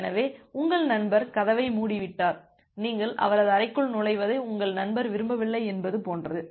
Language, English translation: Tamil, So, it is just like that your friend has closed the door and your friend has not do not want you to enter his room